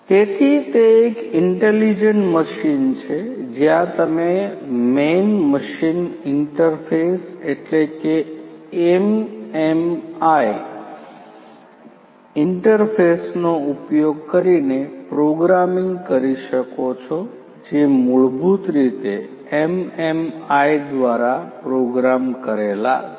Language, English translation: Gujarati, So, this is an intelligent machine where you can do the programming using the Man Machine interface the MMI interface which is there and through the instructions that are basically programmed through the MMI